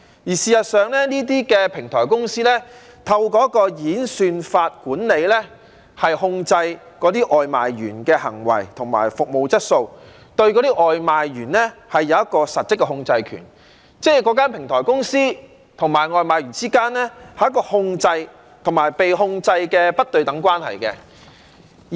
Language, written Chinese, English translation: Cantonese, 事實上，這些平台公司透過一個演算法管理和控制那些外賣員的行為及服務質素，對外賣員有一個實質的控制權，即是那間平台公司與外賣員之間，是一個控制與被控制的不對等關係。, Actually such platform companies adopt algorithms in managing and controlling the behaviour and service quality of their food delivery workers and exercised substantive control over them . That is to say platform companies and food delivery workers are in a non - reciprocal relationship marked by subordination